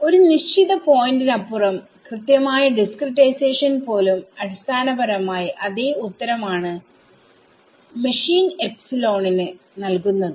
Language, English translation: Malayalam, Beyond ta certain point discretizing it even finer is giving basically the same answer to machine epsilon